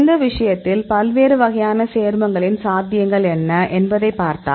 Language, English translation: Tamil, So, in this case; if you see what are the possibilities of different types of compounds